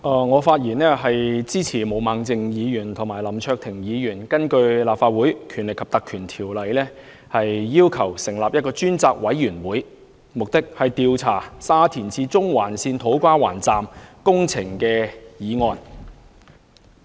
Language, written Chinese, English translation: Cantonese, 我發言支持毛孟靜議員及林卓廷議員提出的議案，要求根據《立法會條例》成立一個專責委員會，調查沙田至中環線土瓜灣站的工程。, I speak in support of the motion moved by Ms Claudia MO and the one to be moved Mr LAM Cheuk - ting to set up a select committee under the Legislative Council Ordinance to inquire into the construction works of To Kwa Wan Station of the Shatin to Central Link SCL